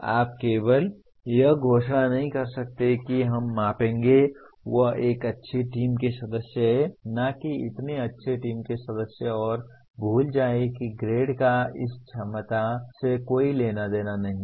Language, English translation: Hindi, You cannot just merely announce that we will measure, he is a good team member, not so good team member and forget about this the grade has nothing to do with this ability